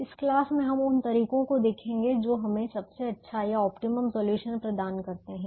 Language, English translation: Hindi, in this class we will look at methods that provide us the best or the optimal solution